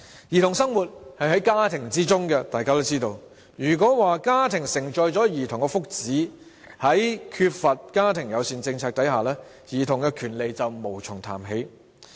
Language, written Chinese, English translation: Cantonese, 兒童生活在家庭中，如果說家庭承載着兒童的福祉，在缺乏家庭友善政策下，兒童權利便無從談起。, Children live in families . If it is said that families have a bearing on the well - being of children in the absence of a family - friendly policy there will be no point in talking about childrens rights